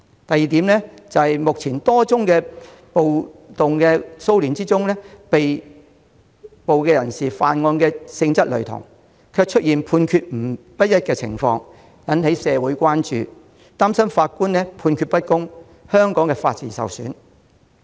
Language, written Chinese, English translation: Cantonese, 第二，在多宗暴動及騷亂事件中，被捕人士犯案的性質類同但判決不一，引起社會人士關注，他們擔心法官判決不公，令法治受損。, Second in a number of riots and disturbances while the nature of offences of the arrestees is similar the judgments are different . This has aroused public concern about the impartial judgments of judges thereby undermining the rule of law